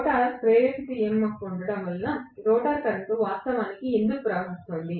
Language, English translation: Telugu, And why was the rotor current actually flowing because there was a rotor induced EMF